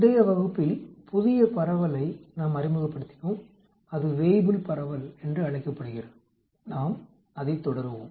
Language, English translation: Tamil, We introduced new distribution in the previous lecture it is called the Weibull distribution, we will continue on that